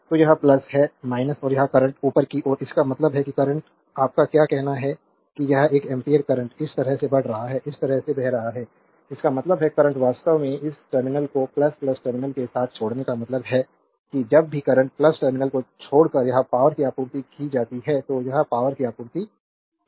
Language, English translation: Hindi, So, this is plus minus and this current is upward means current is your what you call this one ampere current is moving like this, flowing like this; that means, current actually leaving this terminal the plus plus terminal as well as a leaving means it is power supplied right whenever current leaving the plus terminal this power it is power supplied